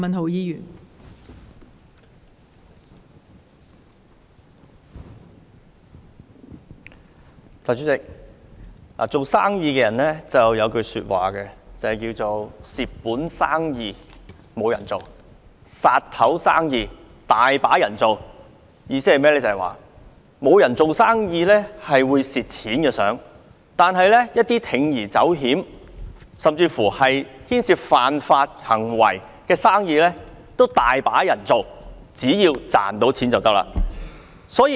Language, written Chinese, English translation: Cantonese, 代理主席，做生意的人有一句話，就是"蝕本生意無人做，殺頭生意有人做"，意思是沒人做生意想蝕錢，但一些需要鋌而走險甚至牽涉犯法行為的生意，卻很多人做，只要能賺錢便可以。, Deputy President there is a saying among businessmen that No one will engage in loss - making businesses but people will engage in businesses that might lead to decapitation . The meaning is that no one wants to lose money in doing business but as long as there are profits many people are ready to take risk or even engage in business that involves illegal offences